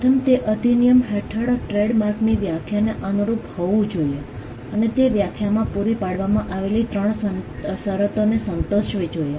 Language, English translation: Gujarati, First, it should conform to the definition of trademark under the act and it should satisfy the 3 conditions provided in the definition